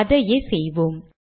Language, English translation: Tamil, Lets just do that